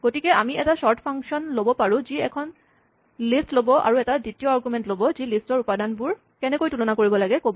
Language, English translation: Assamese, So, we could write a sort function, which takes a list, and takes a second argument, which is, how to compare the entries in the list